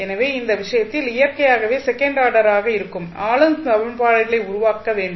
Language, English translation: Tamil, So, in those case you need to create the governing equations which are the second order in nature